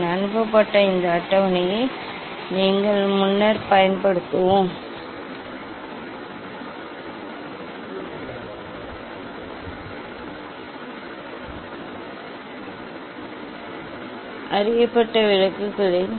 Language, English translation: Tamil, this sent table you will use only earlier we wrote that minimum deviation position, not minimum deviation position